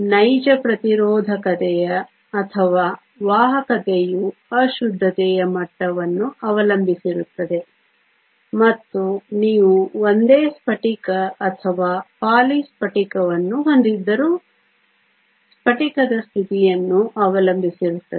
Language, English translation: Kannada, The actual resistivity or the conductivity depends upon the impurity level and also the crystalline state whether you have a single crystal or a poly crystal